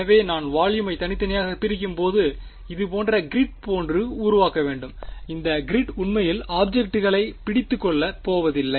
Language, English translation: Tamil, So, if I am discretising the volume I need to sort of use a make a grid like this; The grid is not going to be exactly capturing the object ok